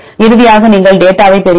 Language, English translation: Tamil, And finally, you will get the data